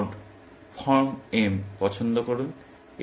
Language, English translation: Bengali, Pick some node form m